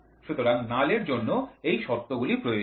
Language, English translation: Bengali, So, these are the conditions required for null